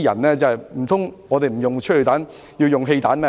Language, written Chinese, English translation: Cantonese, 難道警隊不用催淚彈，而要用汽油彈嗎？, Then if the Police cannot use tear gas canisters are they supposed to use petrol bombs?